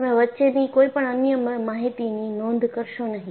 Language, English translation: Gujarati, So, you do not record any other information in between